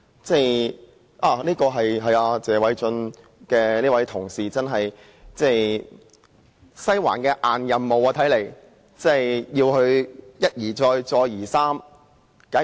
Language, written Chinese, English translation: Cantonese, 這似乎是"西環"派給謝偉俊議員的"硬任務"，要他一而再、再而三地如此。, The Western District appears to have handed down a hard task to Mr Paul TSE requiring him to behave in this manner repeatedly